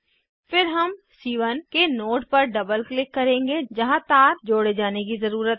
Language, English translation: Hindi, Then we will double click on the node of C1 where wire needs to be connected